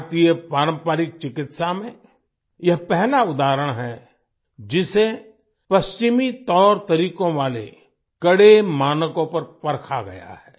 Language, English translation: Hindi, This is the first example of Indian traditional medicine being tested vis a vis the stringent standards of Western methods